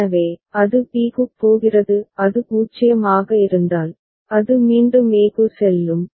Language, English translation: Tamil, So, it is going to b; if it is 0, it is going back to a